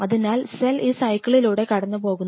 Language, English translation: Malayalam, So, cell essentially goes through this cycle